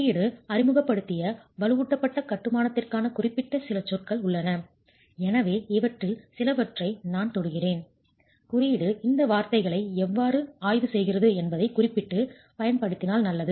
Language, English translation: Tamil, There are few words which are specific to reinforce masonry which the code has introduced and therefore I'm just touching upon some of these which we it's better we use it specific to how the code examines these words